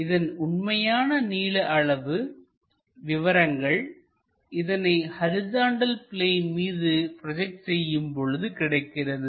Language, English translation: Tamil, So, true length we will get it by projecting it on the horizontal plane